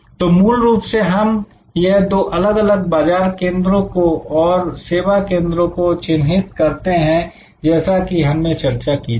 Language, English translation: Hindi, So, fundamentally we therefore, identify these two different market focused and service focused, we have discussed that